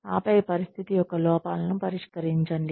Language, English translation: Telugu, And then, address the shortcomings of the situation